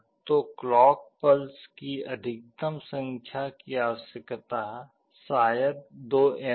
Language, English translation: Hindi, So, the maximum number of clock pulses required maybe 2n